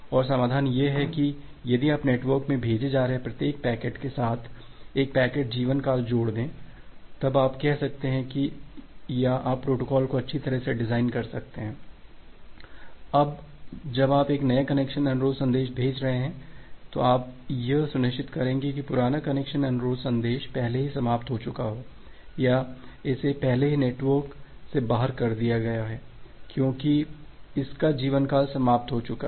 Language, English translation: Hindi, And the solution is that if you associate with a packet life time with every individual packet that you are sending in the network, then you can say or you can design the protocol that well, once you are sending a new connection request message, you will make sure that the old connection request message it has already died off or it has already been taken out of the network, because it is lifetime has been expired